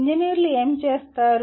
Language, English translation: Telugu, What do engineers do